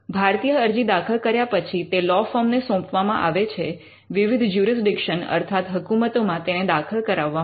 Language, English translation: Gujarati, An Indian application is filed and then referred to a law firm for filing in different jurisdictions